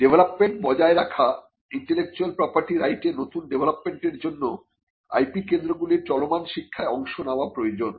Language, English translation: Bengali, Keeping track of developments new developments in intellectual property right requires IP centres to also participate in ongoing education